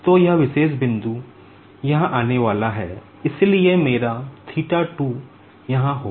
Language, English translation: Hindi, So, this particular point is going to come here, so my theta 2 will be here